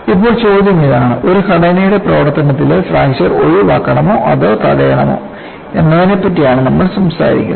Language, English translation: Malayalam, Now the question is we have been talking about fracture of a structure in service needs to be avoided or prevented